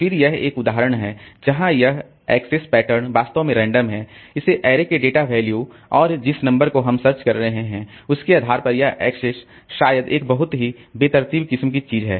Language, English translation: Hindi, Then this is an example where this access pattern is really random depending on the data value and data values of this array and the number that we are searching